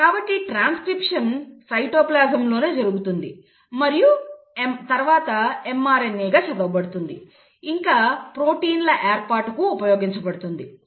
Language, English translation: Telugu, So the transcription happens in the cytoplasm itself and then the mRNA is read and is used for formation of proteins